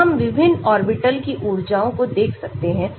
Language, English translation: Hindi, so we can look at energies of various orbitals